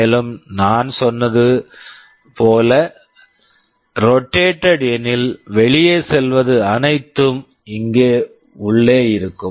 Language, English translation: Tamil, And, rotate as I said whatever goes out will be getting inside here